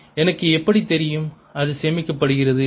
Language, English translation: Tamil, how do i know it is stored